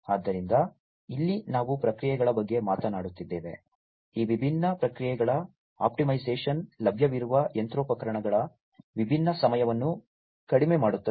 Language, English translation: Kannada, So, here we are talking about the processes, optimization of these different processes, reducing the different down times of the machinery that is available